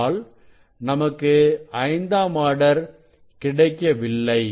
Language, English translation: Tamil, that will be if fifth order is missing